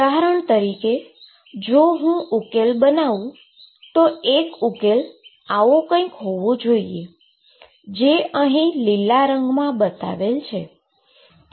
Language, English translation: Gujarati, For example, if I build up the solution one solution could be like this, I am showing in green this is not acceptable